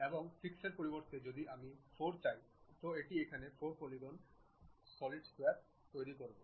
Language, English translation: Bengali, Now, instead of 6 if I would like to have 4, it construct a polygon of 4 sides here square